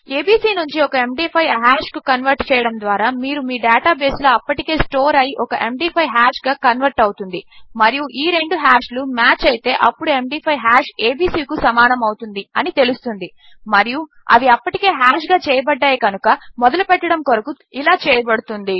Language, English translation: Telugu, By converting abc to a MD5 hash you can compare it to a MD5 hash already stored in your data base and if these two hashes match then theyll know that the MD5 hash equals abc, as they had already hashed just to start with